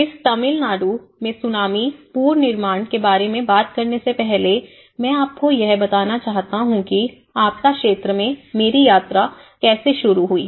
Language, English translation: Hindi, Before talking about this Tsunami Reconstruction Tamil Nadu, I would like to give you an overview of how my journey in the disaster field have started